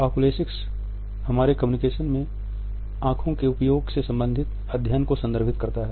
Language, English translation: Hindi, Oculesics refers to the study of the use of eyes in our communication